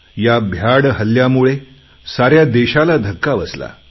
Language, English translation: Marathi, This cowardly act has shocked the entire Nation